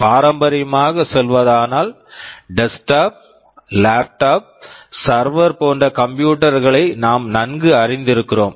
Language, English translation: Tamil, Traditionally speaking, we have become familiar with computers that are either desktops, laptops, servers etc